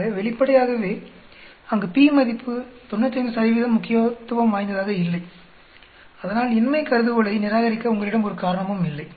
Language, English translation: Tamil, So obviously, there p is not significant at 95 % so there is no reason for you to reject the null hypothesis